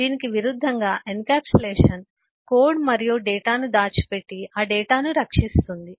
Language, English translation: Telugu, we have seen that, in contrast, encapsulation will hide the code and the data and protect that data